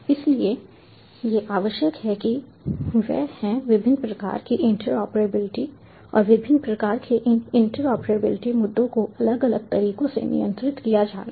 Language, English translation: Hindi, so what is required is to have different types of interoperability and these interpretability issues of different types have to be handled in different ways